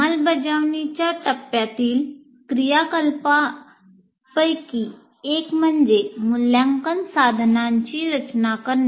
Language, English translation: Marathi, Now come in the implement phase, one of the activities is designing assessment instruments